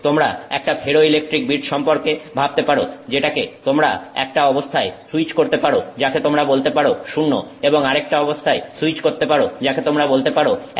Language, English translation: Bengali, So, you can think of it as a ferroelectric bit which you can switch to a condition that you can keep calling as zero and another condition that you can keep calling as one